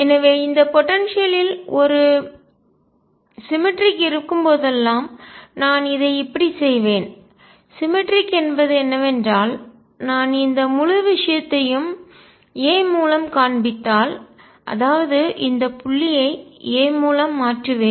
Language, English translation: Tamil, So, whenever there is a symmetry in this potential let me make it like this the symmetry is that if I displays the whole thing by a; that means, I shift suppose this point by a